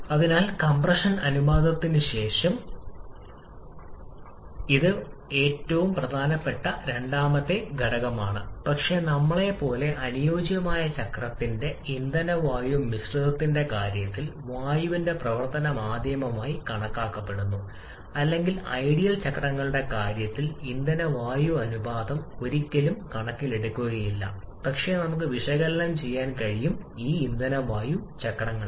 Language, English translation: Malayalam, So, after compression ratio, this is probably the second most important factor, but as we are assuming the air to be the working medium in case of the ideal cycle the fuel air mixture or fuel air ratio never comes into consideration in case of ideal cycles, but that we can analyse in this fuel air cycles